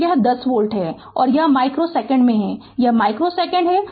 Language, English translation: Hindi, So, this is 10 volt and this is in micro second, it is micro second